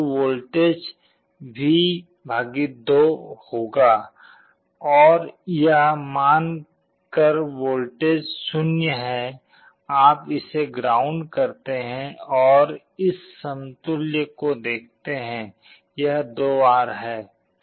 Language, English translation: Hindi, So, the voltage will be V / 2, and assuming this voltage is 0, you connect it to ground and look at the equivalent; it is 2R